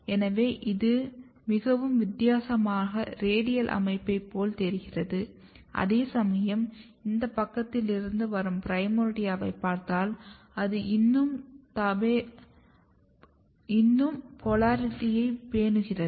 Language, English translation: Tamil, So, it looks like a very different or more kind of radial patterning whereas, if you look this primordia which is coming from this side, it is still maintaining the polarity